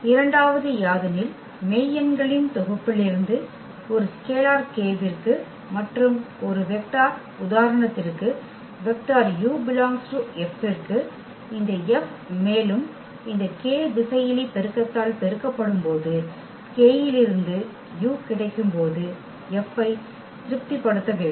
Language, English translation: Tamil, The second one for any scalar k here from the set of real numbers and a vector any vector u from this X this F should also satisfies that F of the multiplication of this k scalar multiplication of this k to u